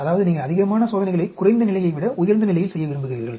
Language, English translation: Tamil, That means you would like to do more experiments at the higher level than lower level